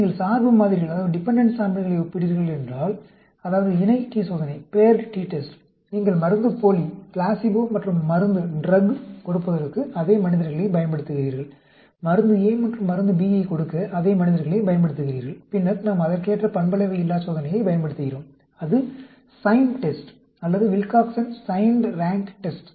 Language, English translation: Tamil, If you are comparing dependent samples, that means, the Paired t test, you are using the same subjects for giving the placebo as well as the drug, you are the using same subjects for giving the drug a and drug b, then, we use corresponding nonparametric test is Sign test or Wilcoxon Signed Rank Test